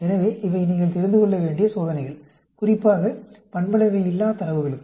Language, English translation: Tamil, So, these are the tests you need to know, especially for nonparametric data